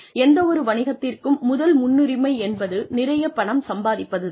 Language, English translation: Tamil, The first priority for any business, is to make lots of money